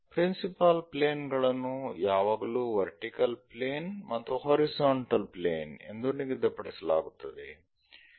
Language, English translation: Kannada, Principal planes are always be fixed like vertical planes horizontal planes